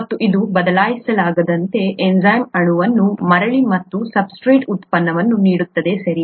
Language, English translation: Kannada, And this irreversibly goes to give the enzyme molecule back and the product from the substrate, okay